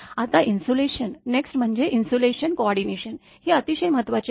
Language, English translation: Marathi, Now, insulation next is insulation coordination this is quite important